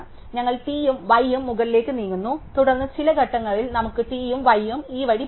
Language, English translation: Malayalam, So, we move t and y up and then at some point we have move t and y will go this way